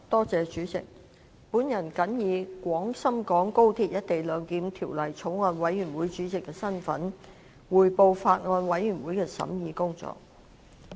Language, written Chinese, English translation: Cantonese, 主席，我謹以《廣深港高鐵條例草案》委員會主席的身份，匯報法案委員會的審議工作。, President in my capacity as Chairman of the Bills Committee on Guangzhou - Shenzhen - Hong Kong Express Rail Link Co - location Bill I would like to report on the deliberations of the Bills Committee